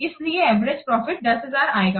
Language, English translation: Hindi, So, average profit coming to be 10,000